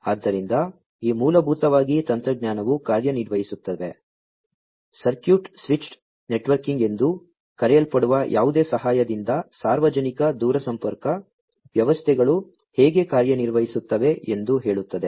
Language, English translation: Kannada, So, this basically technology operates, with the help of something known as the circuit switched networking, which is how the telling the public telecommunication systems work